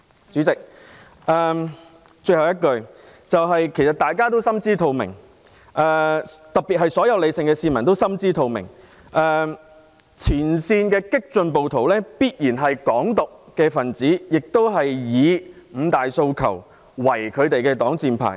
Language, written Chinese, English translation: Cantonese, 主席，最後，大家都心知肚明，特別是所有理性的市民都心知肚明，前線激進暴徒必然是"港獨"分子，他們以"五大訴求"作為擋箭牌。, Chairman in the end we especially all rational members of the public know perfectly well that the frontline radical rioters must be Hong Kong independence supporters using the five demands as a shield